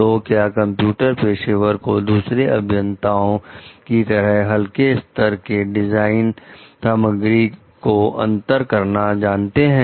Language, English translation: Hindi, So, computer professionals, also like other engineers need to know how to distinguish between something which is a light standard design element